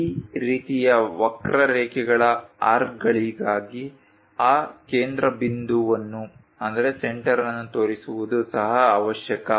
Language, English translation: Kannada, For this kind of curves arcs, it is necessary to show that center also